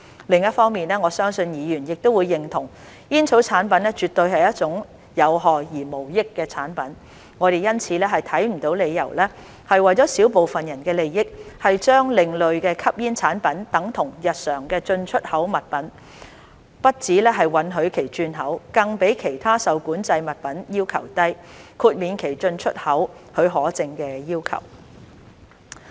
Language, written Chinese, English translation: Cantonese, 另一方面，我相信議員亦會認同，煙草產品絕對是一種有害而無益的產品，我們因此看不到理由為了小部分人的利益，將另類吸煙產品等同日常進出口物品，不只允許其轉口，更比其他受管制物品要求低，豁免其進出口許可證的要求。, On the other hand I believe Members will agree that tobacco products are absolutely harmful and devoid of benefit . We therefore cannot see any reason to put an equal sign between ASPs and ordinary importedexported goods for the benefit of a small number of people and not only are they allowed to be re - exported but they are even subject to requirements that are less stringent than those for other controlled items and are exempted from the import and export licensing requirements